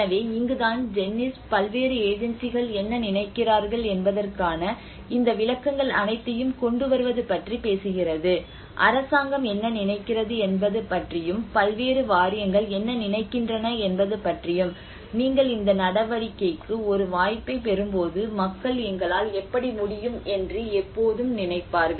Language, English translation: Tamil, So this is where the Jennies work talks about bringing all these interpretations of what different agencies are thinking what the government is thinking is about what different boards are thinking about you know so and when you are taking an opportunity of the move always people think about how we can envisage with the modern thinking you know how what kind of history you are going to tell about it